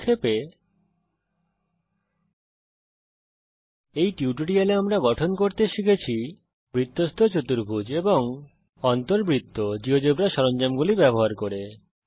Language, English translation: Bengali, To Summarize In this tutorial we have learnt to construct cyclic quadrilateral and In circle using the Geogebra tools